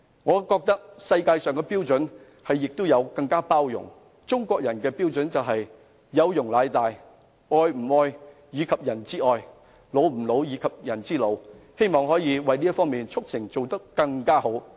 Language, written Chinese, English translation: Cantonese, 我覺得世界要有更大的包容，中國人的標準是"有容乃大"，"老吾老以及人之老，幼吾幼以及人之幼"，希望我們這方面可以做得更好。, I think the world needs more tolerance . According to the Chinese standard tolerance is a virtue and one should respect the elderly in their family and extend the same respect to those in other families; take care of their children and extend the same care to those of others . I hope that we can do better in this respect